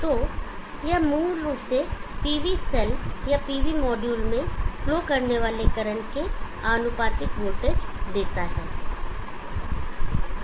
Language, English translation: Hindi, So it is basically giving a voltage proportional to the current flowing through the PV cell or the PV module